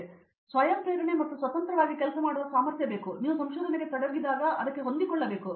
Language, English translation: Kannada, So, that self motivation and ability to work independently you have to adapt to it when you get into research